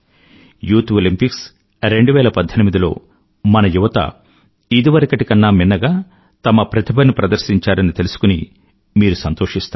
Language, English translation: Telugu, You will be pleased to know that in the Summer Youth Olympics 2018, the performance of our youth was the best ever